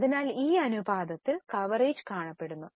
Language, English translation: Malayalam, So, the coverage is seen in this ratio